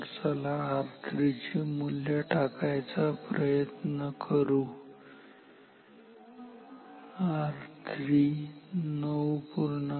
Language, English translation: Marathi, So, let us put the value R 3 should be point 9